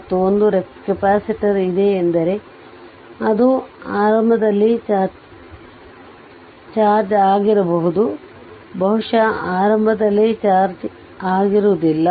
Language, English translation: Kannada, And one is capacitor is there it may be initially charged maybe initially uncharged